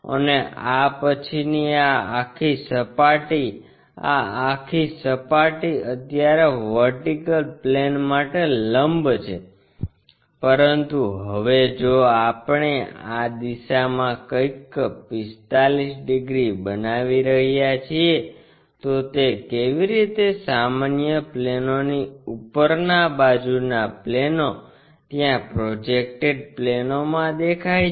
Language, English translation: Gujarati, And this entire surface after that; this entire surface right now perpendicular to the vertical plane, but now if we are making something like in this direction 45 degrees, how does that really look like in the projected planes like normal planestop side planes